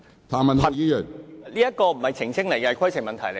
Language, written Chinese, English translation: Cantonese, 譚議員，你有甚麼規程問題？, Mr TAM what is your point of order?